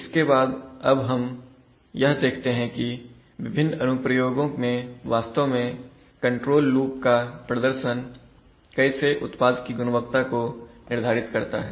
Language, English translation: Hindi, So having said that, let us see that how the performances of a control loop in various applications can actually decide the product quality